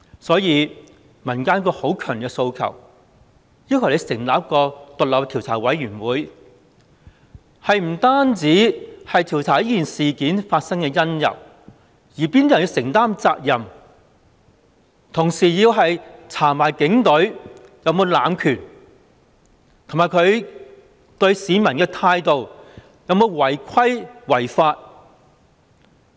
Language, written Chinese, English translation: Cantonese, 所以，民間有一個很強烈的訴求，要求成立一個獨立調查委員會。不但要調查這事件發生的因由及由哪些人去承擔責任，同時亦要調查警隊有否濫權，以及它對市民的態度有否違規違法？, It follows that there is a strong demand in society for the establishment of an independent commission of inquiry to not just look into the cause of this incident and determine the individuals to be held responsible but also investigate whether the Police Force has abused its power and whether its attitude towards the public has violated any rules or laws